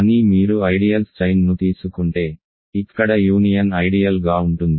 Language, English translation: Telugu, But if you take a chain of ideals where union is an ideal